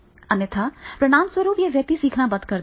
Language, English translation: Hindi, Otherwise what will happen that is the person will stop learning